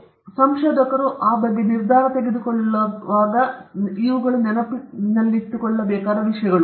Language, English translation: Kannada, So, these are the things which researchers have to keep in mind when they take decisions about it